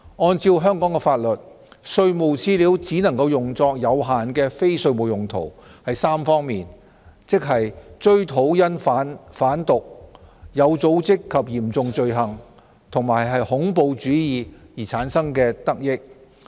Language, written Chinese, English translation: Cantonese, 按照香港法律，稅務資料只能用作有限的非稅務用途，是在3方面，即追討因販毒、有組織及嚴重罪行及恐怖主義而產生的得益。, According to the laws of Hong Kong tax information can only be used for limited non - tax related purposes in three areas namely the recovery of proceeds from drug trafficking organized and serious crimes and terrorist acts